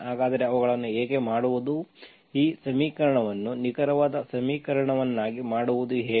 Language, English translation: Kannada, So what how to make them, how to make this equation an exact equation